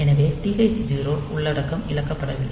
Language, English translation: Tamil, So, TH 0 content is not lost